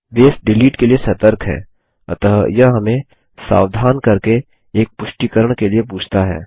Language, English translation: Hindi, Base is cautious about deletes, so it asks for a confirmation by alerting us